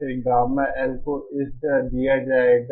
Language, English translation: Hindi, Then Gamma L will be given like this okay